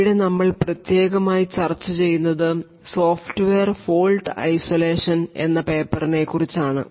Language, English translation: Malayalam, So, what we will be looking at is something known as Software Fault Isolation